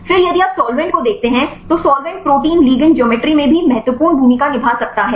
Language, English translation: Hindi, Then if you look in to the solvent, the solvent also may play a significant role in the protein ligand geometry